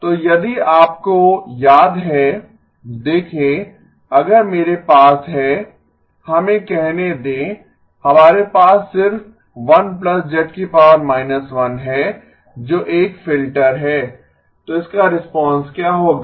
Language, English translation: Hindi, So if you remember see if I have let us say just 1 plus z inverse that is a filter that so what will be the response of this